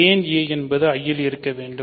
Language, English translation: Tamil, Why does a belong to I